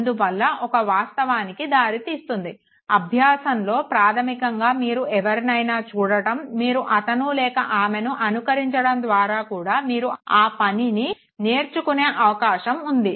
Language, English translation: Telugu, And this leads to the fact that there is a possibility of a learning where you basically know watch somebody, you try to imitate him or her and therefore you learn that very thing